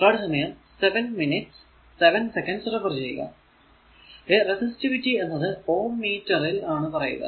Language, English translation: Malayalam, It is resistivity it is ohm meter